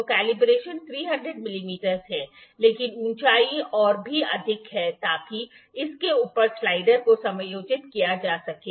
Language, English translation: Hindi, So, the calibration is 300 mm, but the height is even higher the height is even higher to so, as to adjust the slider over it